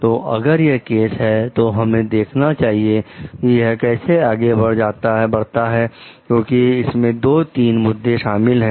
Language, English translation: Hindi, So, if this is the case, let us see how it goes through because there are 2 3 issues in it